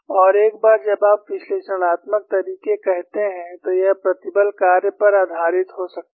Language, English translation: Hindi, And one you, once you say analytical methods, it could be based on stress function